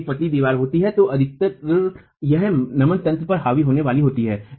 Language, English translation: Hindi, When it is a slender wall most often it is going to be dominated by flexural mechanisms